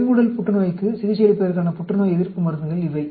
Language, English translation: Tamil, These are anti cancer drug for the treatment of a colorectal cancer